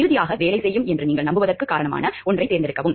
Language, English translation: Tamil, And finally, choose one that you have reason to believe will work